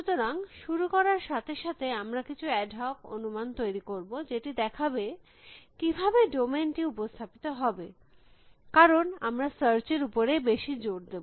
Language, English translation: Bengali, So, I to when we begin with, we will just make some ad hoc assumptions has to how the domain is going to be represented, because we will be focusing more on search